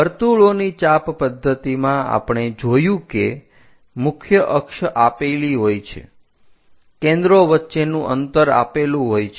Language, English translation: Gujarati, In arc of circle method, we have seen major axis is given, the distance between foci is given